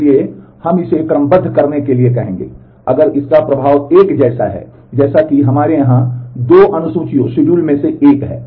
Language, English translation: Hindi, So, we will call it you will serializable, if it has the same effect, as some of the one of the 2 schedules that we have here